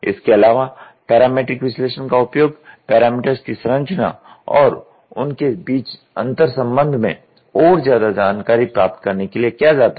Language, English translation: Hindi, Also, parametric analysis is used to gain insight into the structure and interrelationship between the parameters